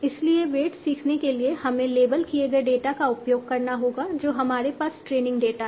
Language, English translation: Hindi, So, for learning weights we will have to use the label data that we have, this is the training data